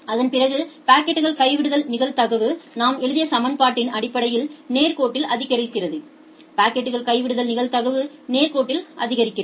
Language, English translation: Tamil, After that the packet drop probability increases linearly based on the equation that we have written, the packet drop probability increases linearly